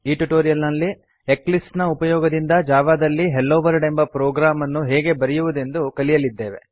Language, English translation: Kannada, In this tutorial, we are going to learn, how to write a simple Hello Worldprogram in Java using Eclipse